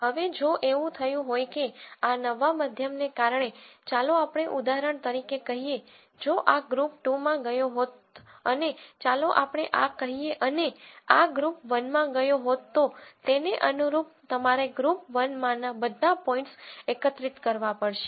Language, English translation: Gujarati, Now, if it were the case that because of this new mean let us say for example, if this had gone into group 2 and let us say this and this had gone into group 1 then correspondingly you have to collect all the points in group 1 and calculate a new mean collect all the points in group 2 and calculate a new mean